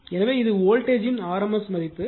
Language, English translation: Tamil, So, this is your RMS value of the voltage 4